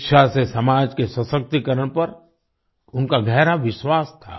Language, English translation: Hindi, She had deep faith in the empowerment of society through education